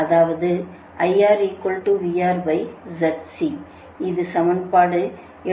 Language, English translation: Tamil, this is equation seventy two